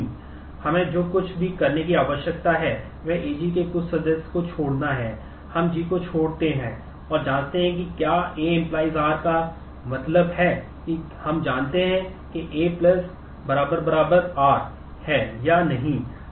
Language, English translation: Hindi, All that we need to do is drop some member from AG, we drop G and check whether A functionally determines R which means we check whether A+ is equal to R or not